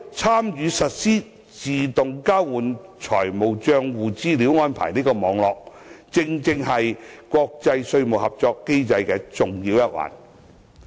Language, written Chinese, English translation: Cantonese, 參與實施自動交換資料安排的網絡，正是國際稅務合作機制的重要一環。, Participation in the network of implementing AEOI is precisely an integral part of the international tax cooperation mechanism